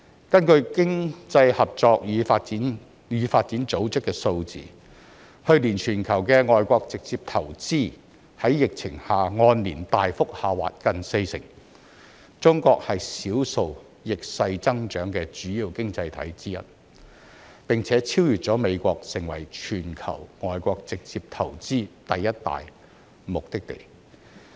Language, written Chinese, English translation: Cantonese, 根據經濟合作與發展組織的數字，去年全球的外國直接投資在疫情下按年大幅下滑近四成，中國是少數逆勢增長的主要經濟體之一，並且超越美國，成為全球外國直接投資第一大目的地。, According to the figures from the Organisation for Economic Co - operation and Development the global foreign direct investment flows recorded a significant year - on - year decline of nearly 40 % last year amid the pandemic but China one of the few major economies which bucked the trend and registered growth overtook the United States as the top destination for foreign direct investment worldwide